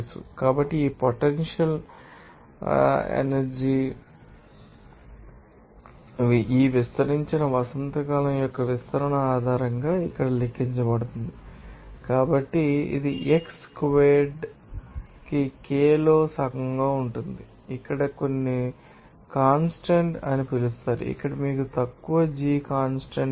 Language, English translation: Telugu, So, therefore, that potential will become potential energy will be calculated based on this expansion of this unstretched spring here So, it will be simply half of k into x squared here case called here some constant that is you know less g constant here